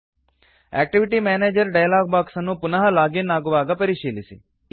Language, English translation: Kannada, Check the Activity Manager dialog box again when you login